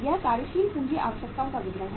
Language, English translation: Hindi, This is the statement of working capital requirements